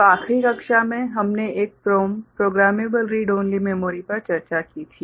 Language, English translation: Hindi, So, in the last class we had discussed a PROM: Programmable Read Only Memory